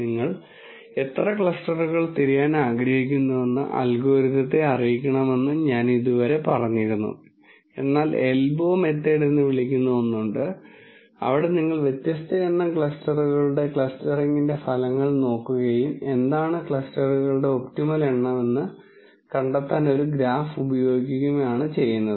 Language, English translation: Malayalam, Till now I said you let the algorithm know how many clusters you want to look for, but there is something called an elbow method where you look at the results of the clustering for different number of clusters and use a graph to find out what is an optimum number of clusters